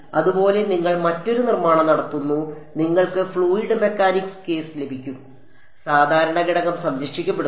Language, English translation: Malayalam, Similarly you do a different construction you get the fluid mechanics case, the normal component is conserved